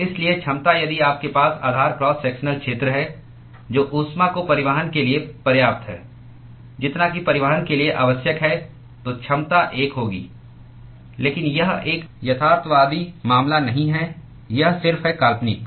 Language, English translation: Hindi, So, therefore, the efficiency if at all you have the base cross sectional area which is sufficient to transport heat as much as whatever is required to be transported then the efficiency is going to be 1, but this is not a realistic case it is just hypothetical yes